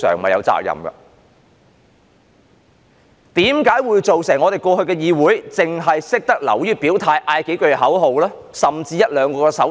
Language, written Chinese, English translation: Cantonese, 為甚麼過去的議會會變成只流於表態、喊口號，甚至作出一兩個手勢？, In the past why has the Council turned into one where Members were only used to expressing their stances chanting slogans or even making one or two gestures?